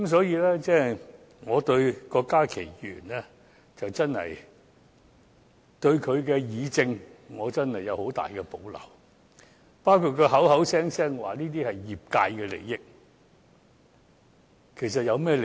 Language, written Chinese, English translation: Cantonese, 因此，我對郭家麒議員的議政能力有很大保留，包括他聲稱這是業界的利益，其實有甚麼利益？, Therefore I have great reservation in Dr KWOK Ka - kis ability to deliberate on political affairs including the interests of the industry as claimed by him